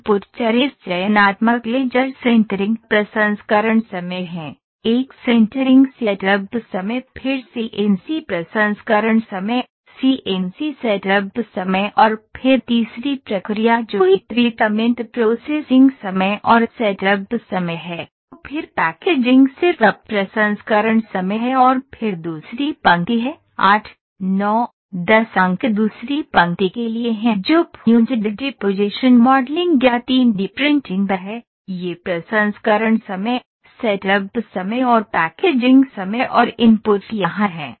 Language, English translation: Hindi, Input variables are this selective laser sintering processing time, selected a sintering setup time then CNC processing time, CNC setup time then the third process that is heat treatment processing time and setup time then packaging is just the processing time and then is the second line of 8, 9, 10 points are for the second line which is fused deposition modeling or 3D printing, this is the processing time, setup time and packaging time